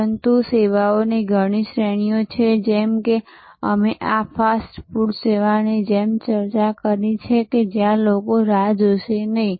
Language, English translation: Gujarati, But, there are many categories of services as we discussed like this fast food service, where people will not wait